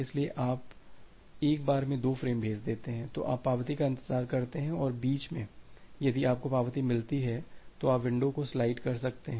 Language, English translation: Hindi, So, once you are you have sent 2 frames then you wait for the acknowledgement and in between if you receive an acknowledgement, you can slide the window